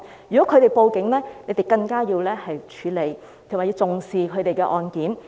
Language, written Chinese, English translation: Cantonese, 如果他們報案，警方更要處理及重視他們的案件。, If they report a case the Police must handle it and attach great importance to it